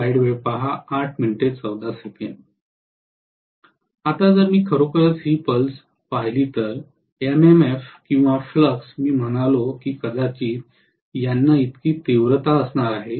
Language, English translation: Marathi, Now, if I actually look at this pulse, the MMF or flux I said that it is probably going to have a magnitude like this